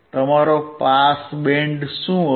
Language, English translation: Gujarati, What will be your pass band